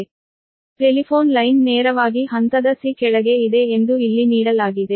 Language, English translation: Kannada, the telephone line is located directly below phase c